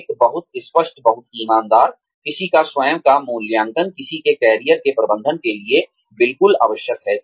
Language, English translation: Hindi, A very clear, very honest, assessment of one's own self is, absolutely essential to, managing one's career